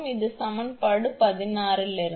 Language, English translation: Tamil, This is from equation 16